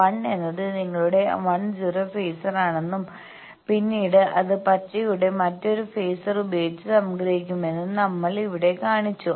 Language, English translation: Malayalam, Here we have shown that that 1 is your 1 0 phasor and then there is it is summed with another phasor of the green one